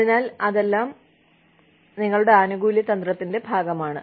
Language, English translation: Malayalam, So, all that forms, a part of your benefits strategy